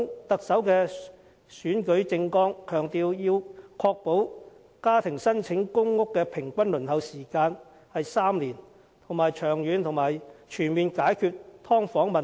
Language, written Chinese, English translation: Cantonese, 特首在選舉政綱中強調，要確保家庭申請公屋的平均輪候時間是3年，並長遠而全面地解決"劏房"問題。, In his Manifesto for the Chief Executive Election the Chief Executive emphasized the need to ensure that the average waiting time for PRH be maintained at three years as well as tackle the problem of subdivided units in a long - term and comprehensive manner